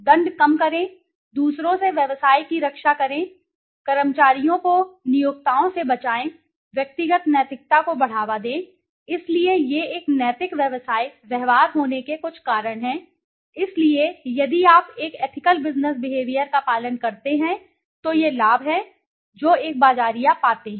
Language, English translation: Hindi, Reduce penalties, protect business from others, protect employees from employers, promote personal morality, so these are some of the reasons for having an ethical business behavior, so if you follow an ethical business behavior these are the benefits that a marketer finds